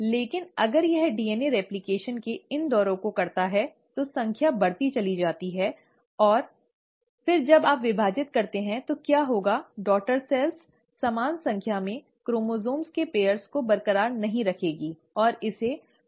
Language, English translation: Hindi, But, if it goes on doing these rounds of DNA replications, number goes on increasing, and then when you divide, what will happen is, the daughter cells will not retain the same number of pairs of chromosomes, and that will lead to ‘polyploidy’